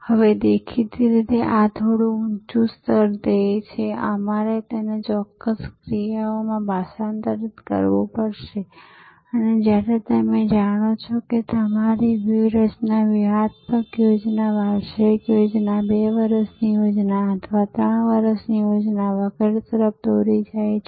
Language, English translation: Gujarati, Now; obviously, this is a little higher level goal, we have to translate that into specific actions and that is when you know your strategy leads to a tactical plan, an annual plan, a 2 years plan or a 3 years plan and so on